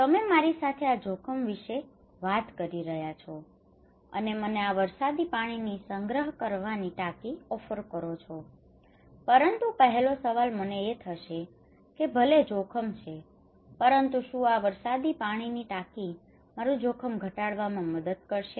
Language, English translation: Gujarati, You are talking to me that I am at risk and offering me this rainwater harvesting tank, but the first question came to me okay even if I am at risk, will this rainwater tank will help me to reduce my risk